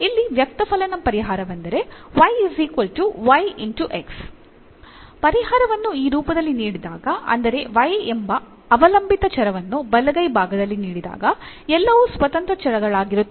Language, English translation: Kannada, So, here the explicit solution y is equal to y x, when the solution is given in this form that y the dependent variable is given the right hand side everything contains as the independent variables